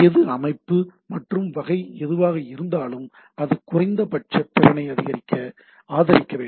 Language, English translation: Tamil, So the whichever is the system and type of things, it should support a minimum set of capability